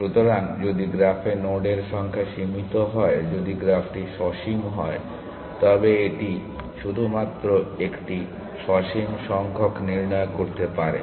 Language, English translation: Bengali, So, if the number of nodes are finite in the graph, if the graph is finite then this it can do this only a finite number of times